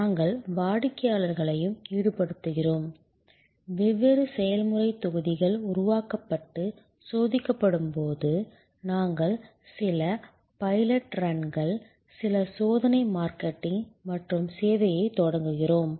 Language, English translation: Tamil, We also involve the customers, when the different process modules are developed and tested and then, we do some pilot runs, some test marketing and launch the service